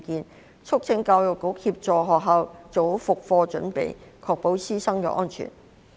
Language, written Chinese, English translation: Cantonese, 委員促請教育局協助學校做好復課準備，確保師生安全。, Members have urged the Education Bureau to assist schools to prepare well for class resumption so as to ensure the safety of teachers and students